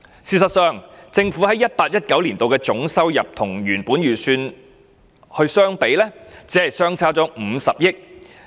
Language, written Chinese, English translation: Cantonese, 事實上，政府在 2018-2019 年度的總收入與原本預算相比，只相差50億元。, In fact there is a shortfall of only 5 billion between the total government revenue for 2018 - 2019 and the initial estimate